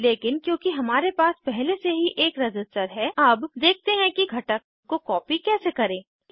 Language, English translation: Hindi, But since we already have a resistor, let us see how to copy a component